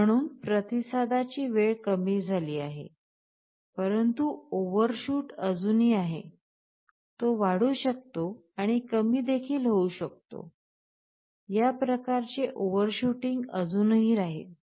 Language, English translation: Marathi, So response time is decreased, but overshoot still remains as it can go up and it can again go down, this kind of overshooting will still be there